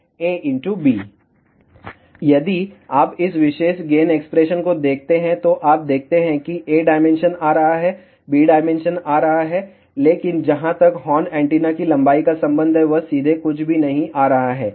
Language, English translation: Hindi, If you look at this particular gain expression, you see that A dimension is coming, B dimension is coming, but there is a nothing coming directly as far as the length of the horn antenna is concerned